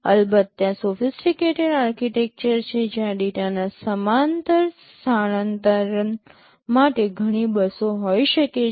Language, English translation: Gujarati, Of course, there are sophisticated architectures where there can be multiple buses for parallel transfer of data and so on